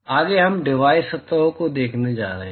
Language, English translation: Hindi, Next we are going to look at divided surfaces